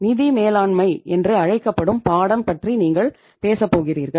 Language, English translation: Tamil, You are going to talk about the subject called as financial management